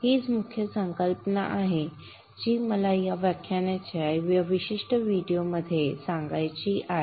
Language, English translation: Marathi, This is the key concept that I want to convey in this particular video lecture